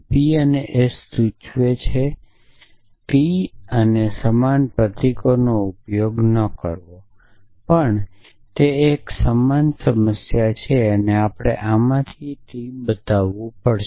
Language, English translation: Gujarati, P and S implies T and not using the same symbols, but anyway it is a same problem and from this we have to show T